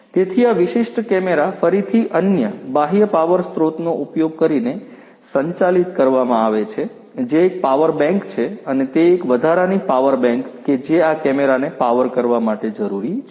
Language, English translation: Gujarati, So, this particular camera is even again powered using another external power source, which is a power bank and that you know an additional power bank that is required to power powering this camera